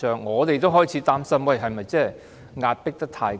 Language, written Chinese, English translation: Cantonese, 我們也開始擔心，是否把他迫得太緊？, We then started to worry if we had pushed him too hard